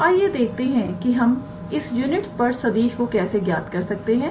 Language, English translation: Hindi, We have to find the equation of a unit tangent vector